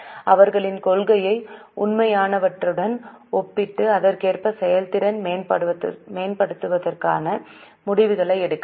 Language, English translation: Tamil, So we can compare their policy with the actual and accordingly take the decisions for improving the efficiency